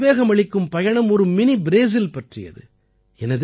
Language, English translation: Tamil, This is the Inspiring Journey of Mini Brazil